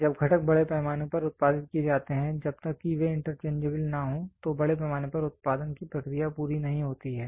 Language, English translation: Hindi, When components are produced in bulk unless they are interchangeable the process of mass production is not fulfilled